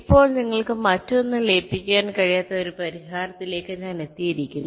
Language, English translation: Malayalam, now i have arrived at a solution where you cannot merge anything else any further